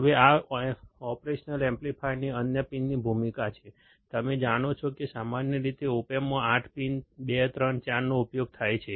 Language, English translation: Gujarati, Now, this is the role of the other pins of the operational amplifier, you know that commonly 8 pins in an op amp